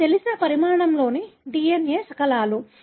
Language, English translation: Telugu, These are DNA fragments of known size